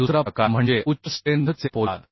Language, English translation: Marathi, and another type of steel is high strength carbon steel